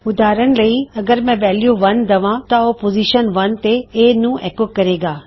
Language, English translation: Punjabi, For example, if I give the value 1, it should echo out A in position 1